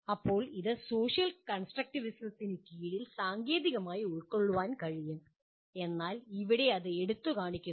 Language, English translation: Malayalam, Now this can be technically absorbed under social constructivism but here it highlights this